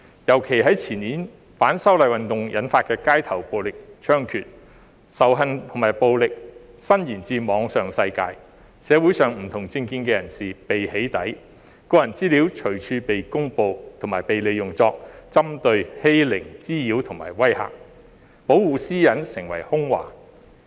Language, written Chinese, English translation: Cantonese, 尤其在前年，反修例運動引發的街頭暴力猖獗，仇恨和暴力伸延至網上世界，社會上不同政見人士被"起底"，個人資料隨處被公布及被利用作針對、欺凌、滋擾和威嚇，保護私隱成為空話。, In particular the year before last saw rampant street violence being triggered by the movement of opposition to the proposed legislative amendments hatred and violence spreading to the online world and members of the community with different political views being doxxed . Personal data was published and used everywhere for targeting bullying harassment and intimidation turning privacy protection into lip service